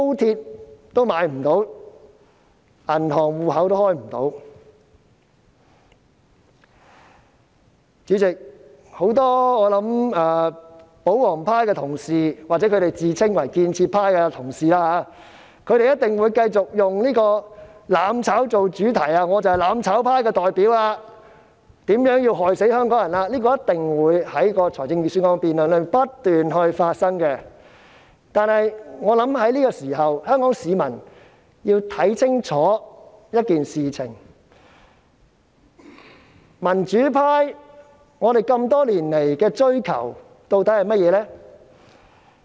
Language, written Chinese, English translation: Cantonese, 主席，我想很多保皇派的同事——或他們自稱為建設派——一定會繼續以"攬炒"作主題，說我是"攬炒"派的代表，如何害死香港人，這一定會在預算案辯論中不斷重複，但我想這刻香港市民要看清楚一點，民主派多年來追求的究竟是甚麼呢？, President I guess many Honourable colleagues of the pro - Government camp―or the constructive camp which they call themselves―will definitely continue to use mutual destruction as the main theme and say how I a representative of the mutual destruction camp will do deadly harm to Hongkongers . This will certainly be repeated over and over again during the Budget debate . However I think at this juncture the people of Hong Kong need to see one point clearly